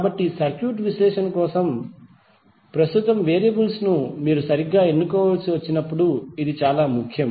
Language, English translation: Telugu, So this is very important when you have to choice the current variables for circuit analysis properly